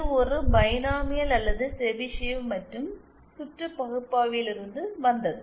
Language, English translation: Tamil, So, either it was a binomial or Chebyshev and this was from circuit analysis